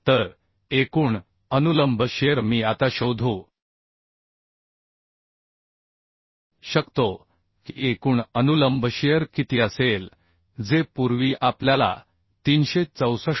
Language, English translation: Marathi, 9 okay so total vertical shear I can now find out total vertical shear will be how much that is earlier we got 364